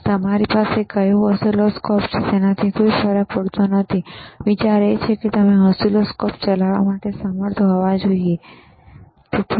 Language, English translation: Gujarati, aAnd it does not matter what oscilloscopes you have, the idea is you should be able to operate the oscilloscopes, all right